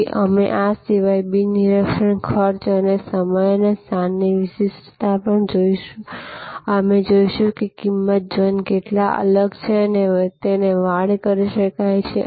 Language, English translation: Gujarati, So, we will there look at also besides this a non monitory costs and time and location specificity, we will see how different a price zones and can be fenced